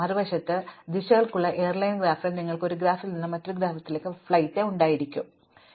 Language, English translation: Malayalam, On the other hand, in the airline graph we had directions, we might have a flight from one city to another city, but not back